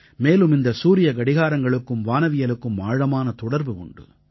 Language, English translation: Tamil, And these observatories have a deep bond with astronomy